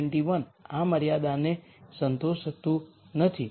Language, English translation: Gujarati, 21 does not satisfy this constraint